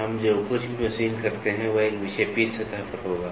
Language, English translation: Hindi, So, now, whatever you machine will be on a deflected surface